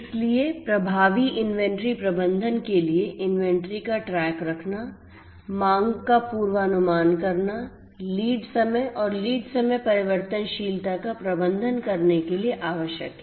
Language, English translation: Hindi, So, for effective inventory management it is required to keep track of the inventory, to forecast the demand, to manage the lead times and the lead time variability